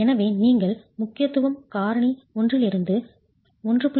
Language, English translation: Tamil, 5, as you are moving from importance factor 1 to 1